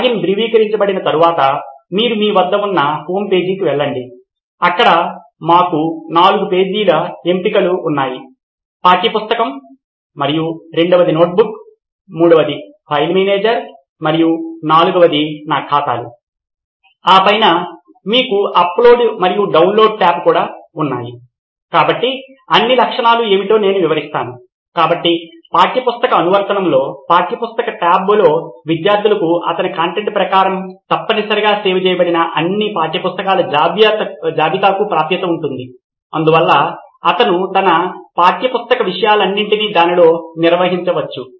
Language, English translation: Telugu, Once the login is validated you go to a homepage where you have, where we have four options basically one would be the textbook and second would be the notebook, third would be a file manager and fourth would be my accounts, on top of that you also have an upload and a download tab, so I‘ll just explain what all are the features, so in the textbook application, on the textbook tab the students will have access to all the list of textbooks that have essentially been saved as per his content, so he can organise all his textbook content on in that